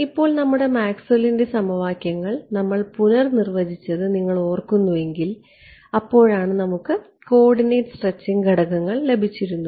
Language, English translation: Malayalam, Now, if you remember when we had redefined our Maxwell’s equations we had got these coordinate stretching parameters